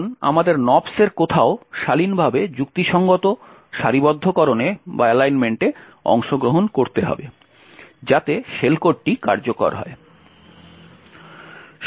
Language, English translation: Bengali, Now we need to jump back somewhere in the Nops at a decent at a reasonable alignment so that the shell code executes